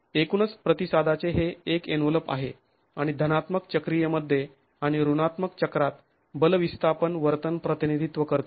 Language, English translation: Marathi, That's the envelope of the overall response and represents the force displacement behavior in the positive cycle and in the negative cycle